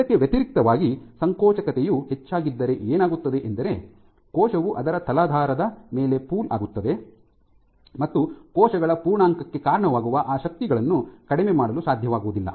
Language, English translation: Kannada, In contrast if contractility is way higher then what will happen is the cell will pool on its substrate the substrate will be in unable to reduce those forces leading to the cell rounding